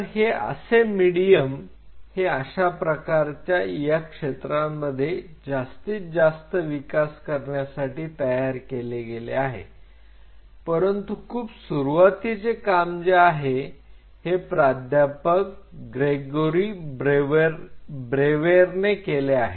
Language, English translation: Marathi, So, this is the medium which was developed mostly in this field you will see most of the work very initial pioneering work were done by Professor Gregory brewer